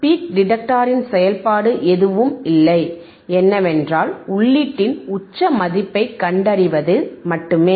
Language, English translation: Tamil, So, function of the peak detector is nothing, but to find the peak value peak value of the input right